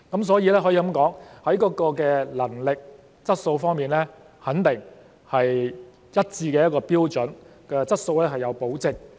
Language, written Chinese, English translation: Cantonese, 所以，可以說，在能力和質素方面，肯定是有一致的標準，質素是有保證的。, Therefore it can be said that in terms of competence and quality there are certainly consistent standards . The quality is assured